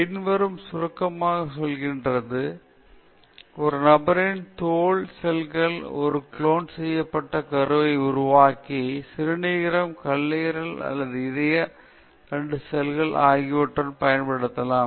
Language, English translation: Tamil, The consequences are very briefly: an individualÕs skin cells could be used to make a cloned embryo and from that extract kidney, liver or heart stem cells